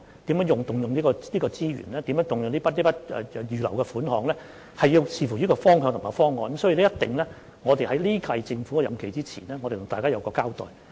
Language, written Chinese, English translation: Cantonese, 如何動用這些資源、如何動用這筆預留的款項，須視乎方向和方案，因此，我們在本屆政府任期完結前會向大家交代。, On how to utilize the resources or the earmarked money it all depends on the direction and the proposal . In view of this we will give Members a briefing before the end of the term of this Government